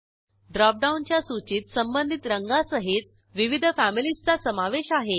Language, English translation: Marathi, Drop down list has various families with their corresponding colors